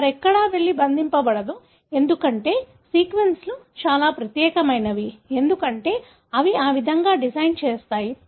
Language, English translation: Telugu, So, it will not go and bind anywhere else, because the sequences are so unique, because they design that way